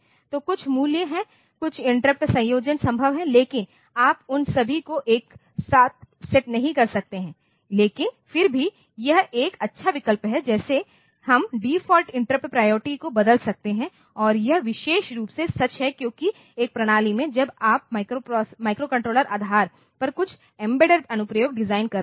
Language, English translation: Hindi, So, there are some values, some of the interrupt combinations are feasible, but you cannot set all of them simultaneously, but still the that is a good option, like we can change the default interrupt priorities and this is particularly true because in a system when you are designing the microcontroller based some embedded application